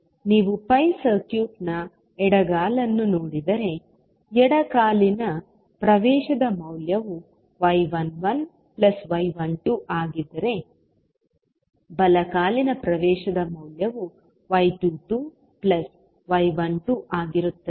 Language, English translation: Kannada, So, if you see the left leg of the pi circuit, the value of left leg admittance would be y 11 plus y 12